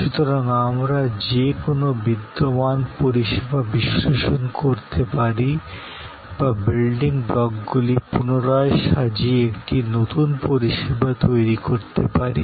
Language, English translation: Bengali, So, that we can analyze any existing service or we can create a new service by rearranging the building blocks